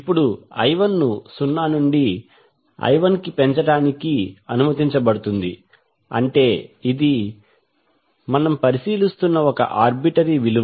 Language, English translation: Telugu, Now I 1 is now allowed to increase from 0 to capital I 1 that is one arbitrary value we are considering